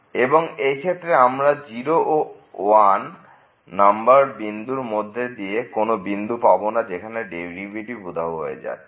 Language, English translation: Bengali, And, in this case we are not getting any point between this 0 and 1 where the function is taking over the derivative is vanishing